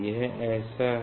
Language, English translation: Hindi, it is like this; it is like this